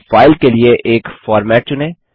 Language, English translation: Hindi, Now let us select a format for the file